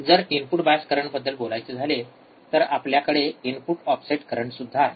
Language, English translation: Marathi, Now, if I say input bias current, then we have input offset current as well